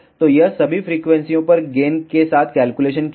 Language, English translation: Hindi, So, it has calculated with gain at all the frequencies